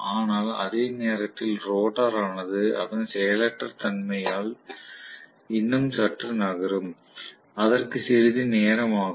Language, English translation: Tamil, But by the time the rotor moves even slightly because of its inertia, it is going to take a while